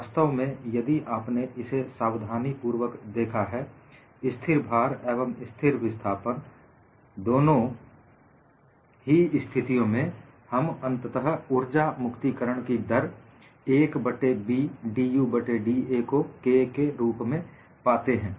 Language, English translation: Hindi, In fact, if you have looked at carefully, for both the cases of constant load and constant displacement, we finally got the energy release rate as 1 by B dU divided by da